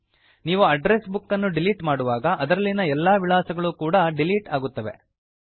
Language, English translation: Kannada, Remember, when you delete an address book all the contacts associated with it are also deleted